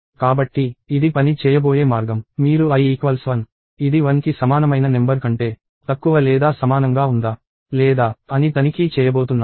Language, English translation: Telugu, So, the way this is going to work is you are going to check if i, which is equal to 1 is less than or equal to the number or not